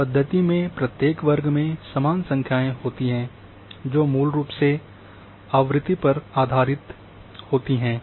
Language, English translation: Hindi, In that method,each class contains the same number of features basically based on frequency